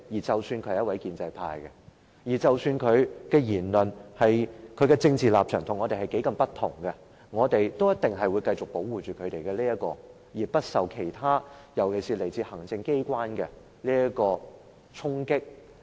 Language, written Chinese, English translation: Cantonese, 即使他是一位建制派議員，即使他的言論、政治立場與我們很不同，我們都一定會繼續保護他不受衝擊，尤其是來自行政機關的衝擊。, Even if the Member being prosecuted belongs to the pro - establishment camp and even if his views and political stance are very different from ours we will certainly continue to protect him from any attack particularly from the attack initiated by the Executive Authorities